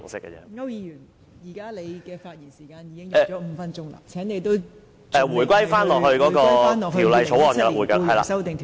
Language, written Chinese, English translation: Cantonese, 區諾軒議員，你已發言5分鐘，請你返回《2017年僱傭條例草案》二讀辯論的議題。, Mr AU Nok - hin you have spoken for five minutes please return to the subject of the Second Reading debate on the Employment Amendment Bill 2017